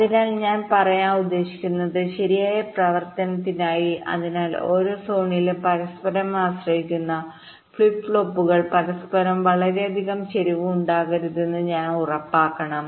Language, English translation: Malayalam, so what i mean to say is that for correct operation, so we must ensure that in every zone, the flip flops which depend on each other, there should not be too much skew among themselves